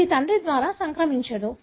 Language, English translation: Telugu, It is not transmitted by a father